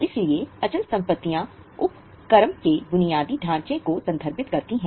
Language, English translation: Hindi, So, fixed assets refer to the infrastructure of the undertaking